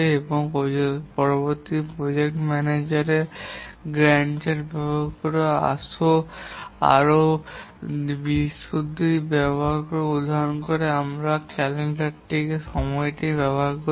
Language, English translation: Bengali, And later the project manager does a more detailed scheduling using the Gant chart where we use the calendar time